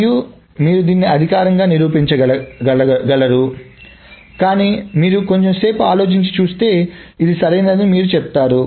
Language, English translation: Telugu, And you can actually prove it formally, but if you think for a little bit and look at the intuition of it, you will see that this is correct